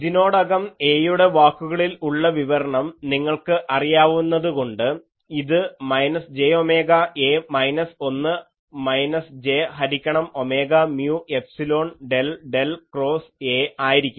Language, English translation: Malayalam, So, since you already know a in terms of A, it will be minus j omega A minus 1 minus j by omega mu epsilon del del cross A